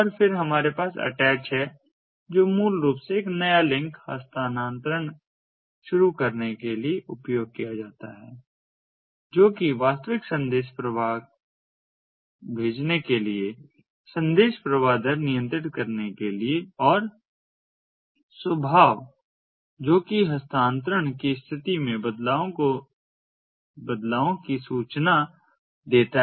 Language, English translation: Hindi, then we have the attach, which is basically used for initiating a new link transfer, for sending actual messages flow, for controlling message flow rate and disposition that informs the changes in state of transfer